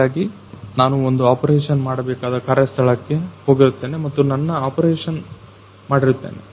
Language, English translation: Kannada, So, I will be going to the particular operation designated work place and a perform my operation